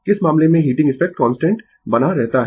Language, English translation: Hindi, In which case the heating effect remains constant